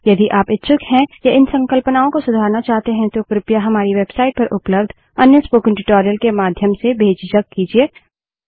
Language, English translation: Hindi, If you are interested, or need to brush these concepts up , please feel free to do so through another spoken tutorial available on our website